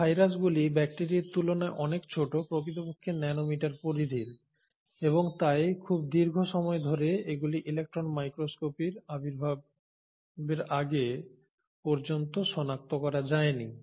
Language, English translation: Bengali, So these viruses are much smaller than bacteria, in fact in the nano meter ranges and hence for a very long time they were not discovered till the advent of electron microscopy